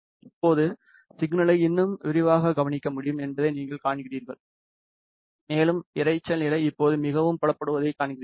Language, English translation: Tamil, Now, you see that the signal can be observed in more detail and you see that the noise level is quite visible now